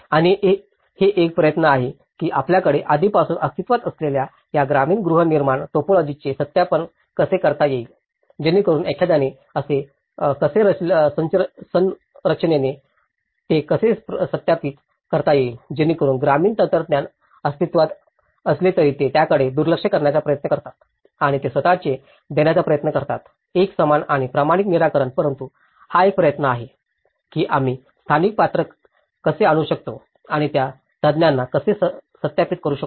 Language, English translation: Marathi, And because it is an effort how one can validate these rural housing typology which are already existing you know, so how structurally one can validate how, so that earlier whatever the rural technology exists, they try to ignore it and they try to give their own uniform and standardized solution but this is an effort, how we can bring that local character still and how we can validate those techniques